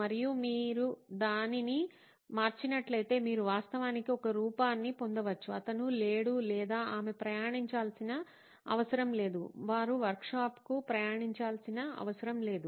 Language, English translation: Telugu, And if you change that, you can actually get a solution in the form of, well he doesn’t or she doesn’t have to travel, they do not have to travel all the way to the workshop